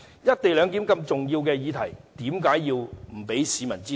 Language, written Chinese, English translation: Cantonese, "一地兩檢"如此重要的議題，怎能不讓市民知道？, For such an important issue as the co - location arrangement how can we not let the public know?